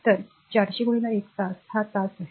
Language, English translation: Marathi, So, 400 into 1 hour this is hour right